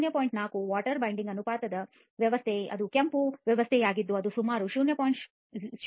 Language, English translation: Kannada, 4 water binder ratio system that is the red system it is about 0